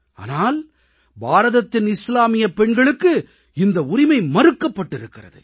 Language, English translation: Tamil, But Muslim women in India did not have this right